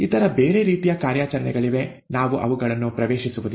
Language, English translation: Kannada, There are other kinds of operation, we will not get into that